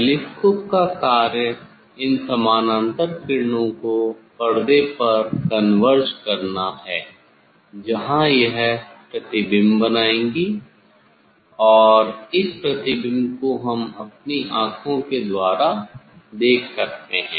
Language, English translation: Hindi, function of the telescope is to is to converge this parallel rays on the spin, there it will form the image and that image we will see we will see through our eye